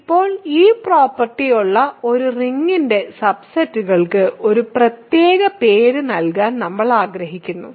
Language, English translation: Malayalam, Now, we want to give a special name to subsets of a ring that have this property